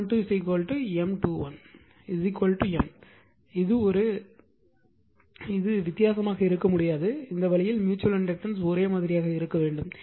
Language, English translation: Tamil, But M 1 2 and M 1 2 are equal that is M 1 2 is equal to M 2 1 is equal to M it cannot be different right, this way have that way mutual inductance has to be same right